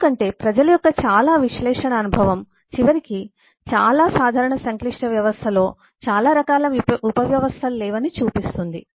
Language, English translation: Telugu, because uh, a lot of analysis experience of people show that at the end not too many different kinds of subsystems amongst many of the common complex systems